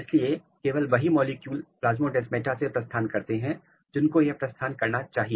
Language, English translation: Hindi, So, only those molecules can move through the plasmodesmata which are supposed to move